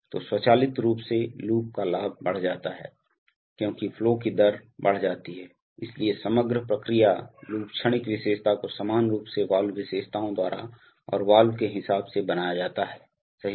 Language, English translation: Hindi, So automatically the loop gain increases as the flow rate increases, so the overall process loop transient characteristic is maintained uniform, simply by the valve characteristics and simply by the choice of the valve right